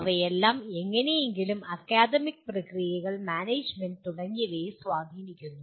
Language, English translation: Malayalam, They all have influence somehow on the academic processes, management and so on